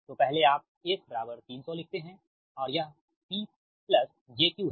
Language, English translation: Hindi, now, first you write s is equal to three hundred and it is p plus j q